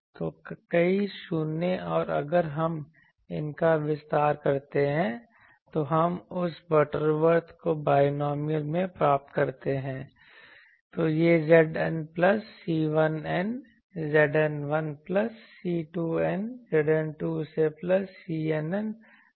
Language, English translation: Hindi, So, many 0s and if we expand these then we get that Butterworth in binomial thing so, it becomes Z N plus Z N minus 1 plus N C 2 Z N minus 2 etc